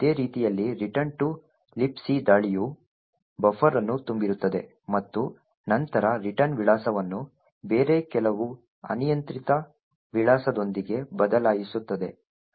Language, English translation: Kannada, In a similar way the return to LibC attack would overflow the buffer and then replace the return address with some other arbitrary address